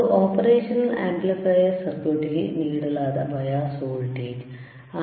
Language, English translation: Kannada, That is your bias voltage given to your operational amplifier circuit;